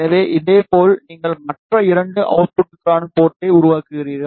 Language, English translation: Tamil, So, in the similar way, you create the port for other two outputs